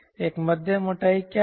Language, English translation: Hindi, what is a moderate thickness